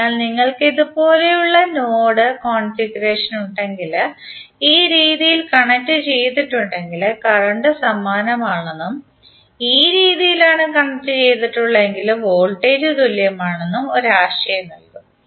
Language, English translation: Malayalam, So this will give you an idea that if you have node configuration like this it means that the current will be same if they are connected in this fashion and voltage will be same if they are connected in this fashion